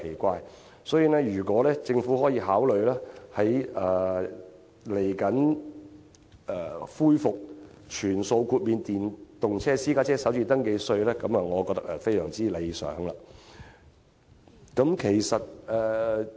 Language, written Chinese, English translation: Cantonese, 我認為，如果政府可以考慮恢復全數豁免電動私家車首次登記稅，會是非常理想的做法。, I think it is most desirable if the Government would consider reintroducing a full waiver on the first registration tax for electric vehicles